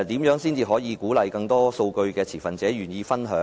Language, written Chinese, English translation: Cantonese, 如何才能鼓勵更多數據的持份者願意分享數據？, How can more stakeholders who possess data be incentivized to share data?